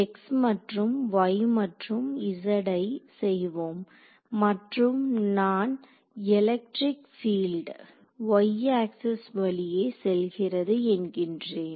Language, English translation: Tamil, So, x and let us make this y and z and I am going to say that electric field is along the y axis right